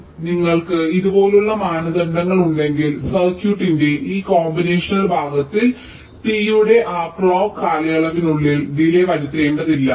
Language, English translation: Malayalam, so if you have a criteria like this, then for this combinational part of the circuit you need not constrain the delay to be within that clock period of t